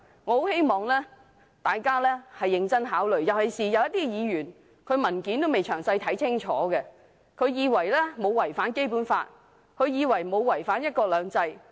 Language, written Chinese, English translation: Cantonese, 我希望大家認真考慮，尤其有些議員還未仔細看清楚文件，以為"一地兩檢"沒有違反《基本法》，沒有違反"一國兩制"。, I hope Honourable colleagues will give them serious consideration especially those who have not yet carefully read the documents and assume that the co - location arrangement does not violate the Basic Law and one country two systems